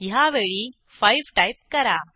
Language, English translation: Marathi, This time, I will enter 5